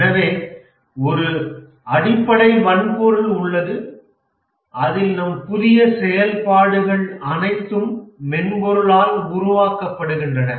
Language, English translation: Tamil, So there is a basic hardware on which all our new functionalities that are required are developed by software